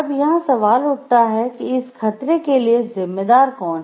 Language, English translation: Hindi, Question comes over here, who is responsible for this hazard